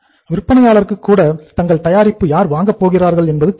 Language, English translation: Tamil, Even the seller knows who is going to buy their product